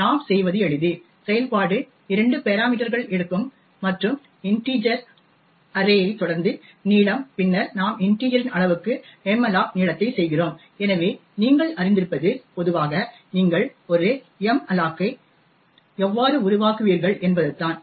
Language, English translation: Tamil, What we do is simple the function takes 2 parameters and integer array followed by the length and then we malloc length into the size of integer, so this as you would know would be typically how you would create a malloc